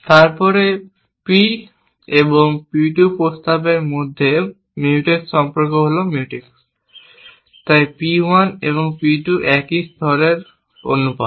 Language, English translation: Bengali, Then Mutex relation between proposition P and P 2 are Mutex, so P 1 and P 2 are proportions in the same layer